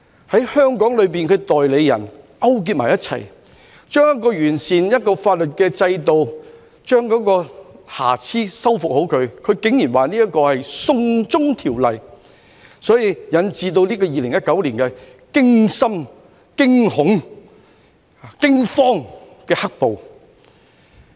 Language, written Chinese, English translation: Cantonese, 在香港境內的代理人勾結一起，竟然把旨在完善法律制度、修復瑕疵的條例，說成是"送中"條例，所以引致2019年驚心、驚恐、驚慌的"黑暴"。, Their proxies in Hong Kong were in cahoots . Despite the fact that the bill sought to improve the legal system and fix the flaws they went so far as to paint it in a bad light as the Extradition to China Bill hence giving rise to the scary terrifying and frightening the black - clad violence in 2019